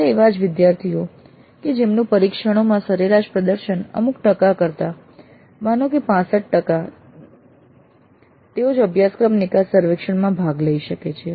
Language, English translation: Gujarati, Only those students whose average performance in the test is more than, let us say 65% can participate in the course exit survey